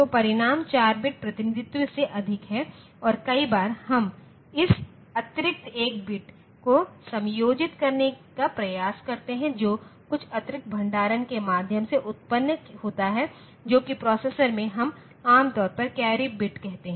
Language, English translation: Hindi, So, the result is more than the 4 bit representation and in many a time we try to accommodate this extra one bit that is generated by means of some additional storage which in a processor we normally call a carry bit